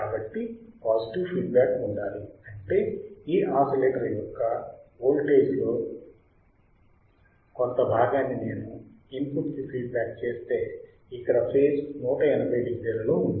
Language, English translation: Telugu, So, but the feedback must be positive right; that means, that if I feed part of this voltage if I feedback to the input of the oscillator, the phase here is 180 degree out of phase